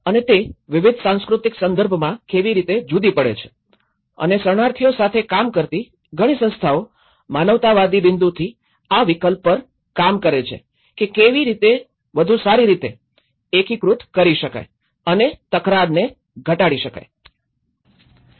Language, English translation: Gujarati, And how it differs in different cultural context and a lot of organizations working with the refugees are working on this option of how we can better integrate and reduce the conflicts in the host and as well as from the humanitarian point of it